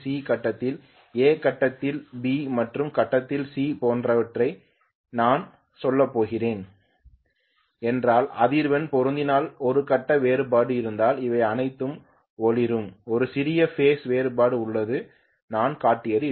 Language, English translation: Tamil, If I am going to have let us say A of the grid, B of the grid and C of the grid like this I will have all of them glowing right if the frequencies are matching there is a phase difference, there is a small phase difference that is what I have shown